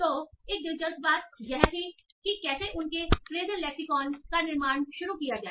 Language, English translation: Hindi, So, so interesting thing was how did they start building their phrasial lexicon